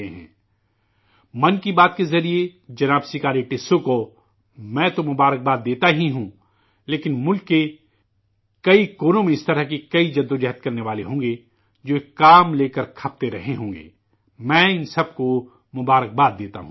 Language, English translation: Urdu, I of course congratulate Shriman Sikari Tissau ji through 'Mann Ki Baat', but in many corners of the country, there will be many seekers like this slogging in such initiatives and I also congratulate them all